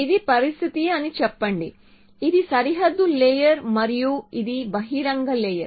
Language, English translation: Telugu, So let us say this is a situation this is a boundary layer this is the open layer